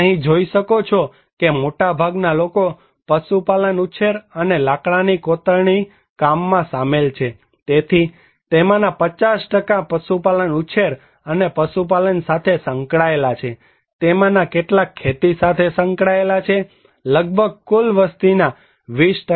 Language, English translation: Gujarati, You can see that most of the people are involved in cattle rearing and wood cravings, so 50% of them are in cattle rearing and animal husbandry and some are also involved in agriculture around 20% of populations